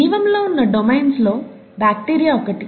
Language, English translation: Telugu, Life, bacteria is one of the domains